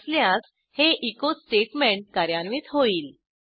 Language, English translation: Marathi, If yes, then this echo statement will be executed